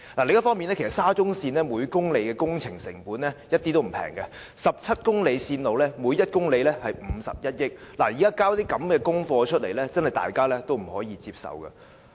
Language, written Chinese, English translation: Cantonese, 另一方面，沙中線每公里的工程成本一點也不便宜 ，17 公里線路每一公里耗資51億元，現在交這樣的功課，大家也不可以接受。, On the other hand the construction cost per km of SCL is not inexpensive at all as every kilometre of this 17 - km railway costs some 5.1 billion . The work accomplished is unacceptable to all of us